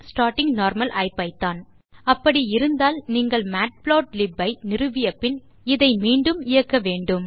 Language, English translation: Tamil, Starting normal IPython.` Then you will have to install the matplotlib and run this command again